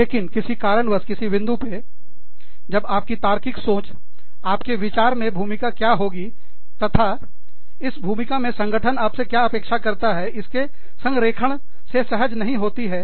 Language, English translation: Hindi, But, somehow, at some point, when your logical thinking mind, is not comfortable, with the alignment of, what you thought, that role was, and what the organization expects you to do, in that role